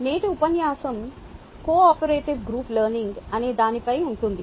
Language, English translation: Telugu, todays lecture is going to be on something called cooperative group learning